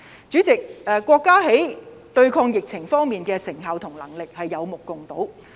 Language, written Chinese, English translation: Cantonese, 主席，國家在對抗疫情方面的成效和能力，是有目共睹。, President the results and capabilities in anti - pandemic efforts of China are there for all to see